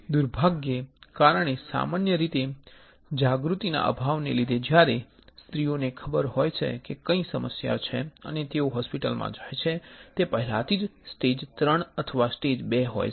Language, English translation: Gujarati, Unfortunately because of the lack of awareness generally when the women know that there is some problem and they go to the hospital it is already stage III or stage II alright